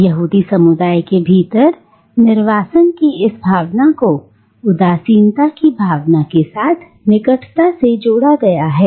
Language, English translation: Hindi, And this sense of exile within the Jewish community is closely entwined with a sense of nostalgia